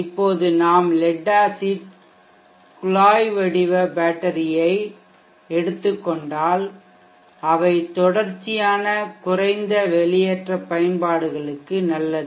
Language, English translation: Tamil, Now if we take lead acid tubular battery it is good for continuous low discharge application